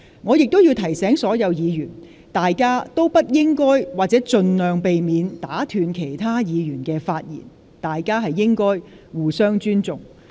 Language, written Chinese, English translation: Cantonese, 我提醒所有議員，大家不應該或請盡量避免打斷其他議員的發言，彼此應該互相尊重。, Please be reminded that you should respect each other and not to or try not to interrupt another Member